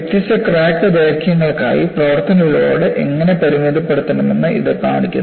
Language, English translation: Malayalam, So, this shows, for different crack lengths, how the service load should be limited